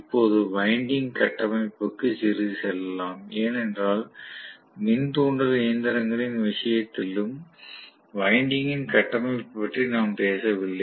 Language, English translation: Tamil, Now, let us go a little bit into, you know the winding structure because we never talked about winding structure in the case of induction machine as well